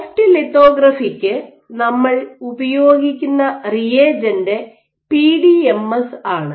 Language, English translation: Malayalam, So, for soft lithography the reagent that we use is PDMS